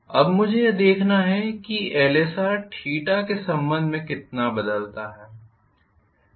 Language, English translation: Hindi, Now I have to look at how exactly Lsr varies with respect to theta